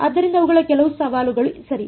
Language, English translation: Kannada, So, those are some of the challenges right